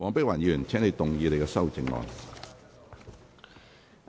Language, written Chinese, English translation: Cantonese, 黃碧雲議員，請動議你的修正案。, Dr Helena WONG you may move your amendment